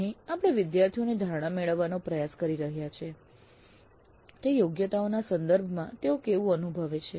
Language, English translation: Gujarati, Here we are trying to get the perception of the students how they feel with respect to those competencies